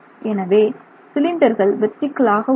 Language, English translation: Tamil, And so the cylinder rotates that way